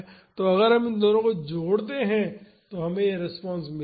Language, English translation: Hindi, So, if we add these two we will get this response